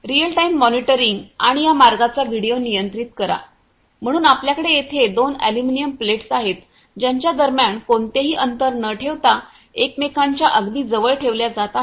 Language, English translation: Marathi, Real time monitoring and controlled video of this path, so we have here two aluminum plates which are being placed very close to each other without maintaining any gap between them